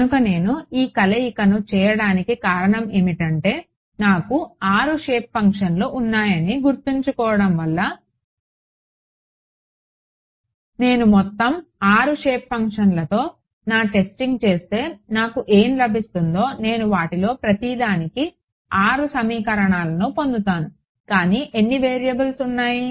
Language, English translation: Telugu, So, the reason that I did this combination is because remembering I have 6 shape functions if I do my testing with all 6 shape functions what I will get I will get 6 equations for each one of them one for each of them, but how many variables